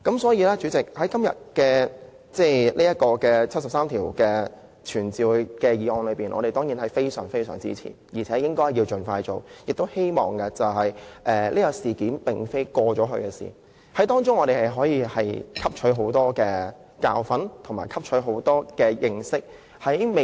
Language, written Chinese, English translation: Cantonese, 主席，今天這項根據《基本法》第七十三條傳召政府官員的議案，我們當然非常支持，並認為應該盡快實行，而且此事並非已過去的事情，我們可以在當中汲取很多教訓和經驗。, President of course we strongly support todays motion to summon government officials pursuant to Article 73 of the Basic Law . We also think this should be done expeditiously . Furthermore the incident is not a past event; we can still learn many lessons and draw many experiences from it